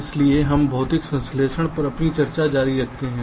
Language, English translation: Hindi, so we continue with our discussion on physical synthesis